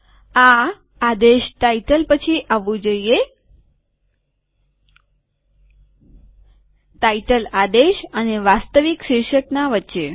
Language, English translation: Gujarati, This should come after the command title, between the title command and the actual title